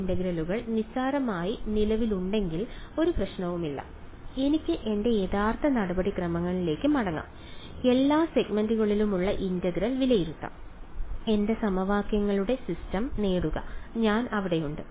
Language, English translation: Malayalam, If these integrals exist trivially then there is no problem I can go back to my original procedure evaluate the integral over all segments get my system of equations and I am there